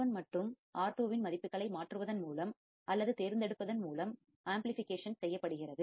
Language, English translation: Tamil, Amplification is done by substituting the values of or selecting the values of R1 and R2